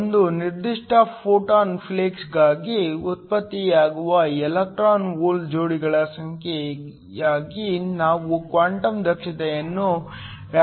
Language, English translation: Kannada, We define quantum efficiency as the number of electron hole pairs that are generated for a certain photon flux